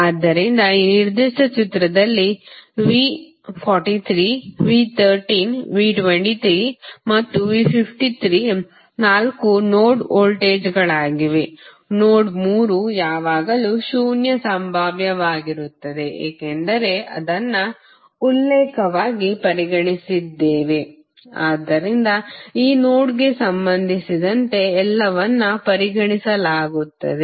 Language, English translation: Kannada, So, if you see in this particular figure V 43, V 13, V 23 and V 53 are the four node voltages, node 3 will always be at zero potential because we considered it as a reference, so with respect to this node all would be considered